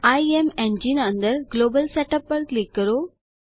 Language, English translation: Gujarati, Under IMEngine, click on Global Setup